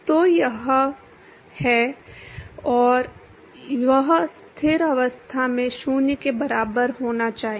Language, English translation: Hindi, So, that is the, and that should be equal to 0 under steady state